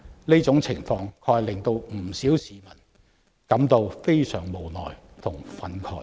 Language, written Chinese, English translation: Cantonese, 這種情況確實令不少市民感到非常無奈和憤慨。, Such a situation indeed makes many people feel very helpless and enraged